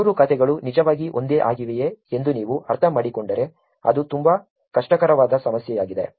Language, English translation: Kannada, If you were to understand whether these three accounts are actually same is actually a very hard problem